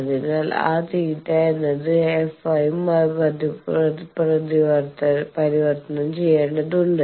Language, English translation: Malayalam, So, that theta needs to be converted to f